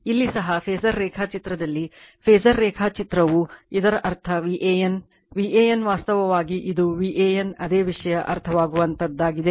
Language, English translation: Kannada, Here also in the phasor diagram phasor diagram also it means your V a n V a n actually it is V A N same thing understandable right